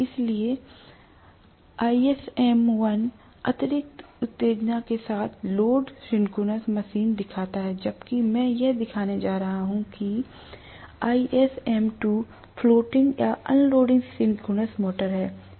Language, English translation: Hindi, So, ISM 1 shows loaded synchronous motor with excess excitation whereas I am going to show here, ISM 2 is floating or unloaded synchronous motor